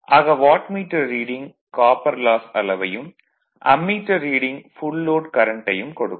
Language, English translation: Tamil, So, Wattmeter reading actually will give you the copper loss and this Ammeter reading will that give the your what you call full load current